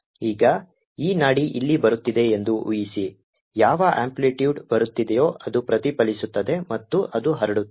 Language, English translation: Kannada, suppose there's a pulse coming in, it gets transmitted and it gets reflected